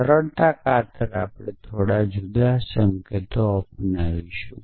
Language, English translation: Gujarati, So, for the sake of simplicity we will adopt slightly different notation